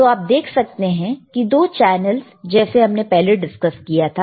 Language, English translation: Hindi, Now you see there are 2 channels like we have discussed, right